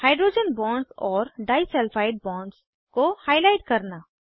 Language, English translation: Hindi, * Highlight hydrogen bonds and disulfide bonds